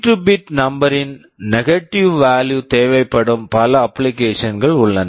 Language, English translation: Tamil, There are many applications where negative value of our 32 bit number is required